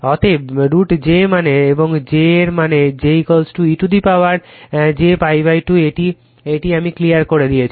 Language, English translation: Bengali, That means; that means, my j to the power j to the power j , is a real number it is e to the power minus pi by 2 right